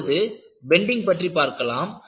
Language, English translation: Tamil, Then, we move on to bending